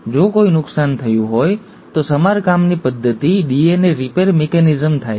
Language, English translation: Gujarati, If at all some damage has happened, then the repair mechanism, the DNA repair mechanism happens